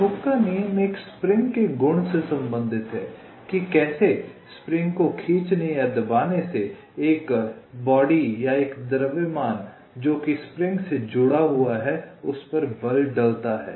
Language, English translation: Hindi, so hookes law relates to the property of a spring, how stretching or contracting a spring exerts force on a body or a mass which is connected to the spring